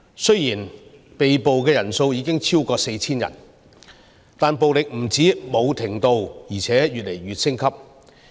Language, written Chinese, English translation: Cantonese, 雖然被捕人數已經超過 4,000 人，但暴力不但沒有停止，而且越來越升級。, The number of arrestees has exceeded 4 000 but violence shows no signs of abating it is actually escalating